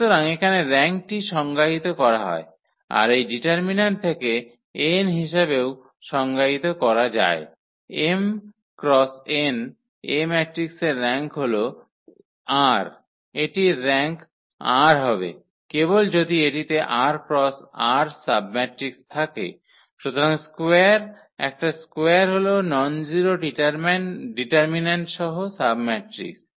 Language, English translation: Bengali, So, here the rank is defined can be also defined from this determinant as the n m cross n matrix A has rank r, this will have rank r when if and only if a has r cross r submatrix, so the square, a square are submatrix with nonzero determinant